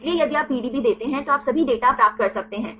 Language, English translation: Hindi, So, if you give the PDB then you can get all the data